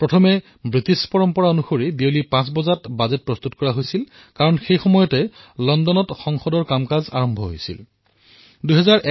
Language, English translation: Assamese, Earlier, as was the British tradition, the Budget used to be presented at 5 pm because in London, Parliament used to start working at that time